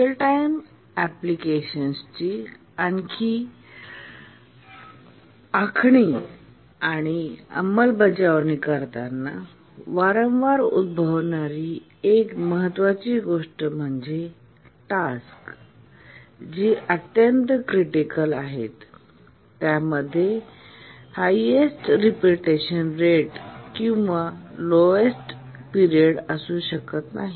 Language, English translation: Marathi, One important thing that occurs frequently in designing and implementing real time applications is that some of the tasks which are very critical tasks may not have the highest repetition rate or the lowest period